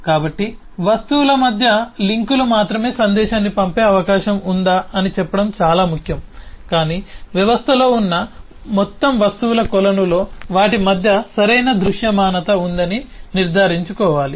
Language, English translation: Telugu, so it is important that between the objects, the links alone will just say whether there is a possibility of sending a message, but will also need to make sure that in the whole pool of object that exist in a system there is proper visibility between them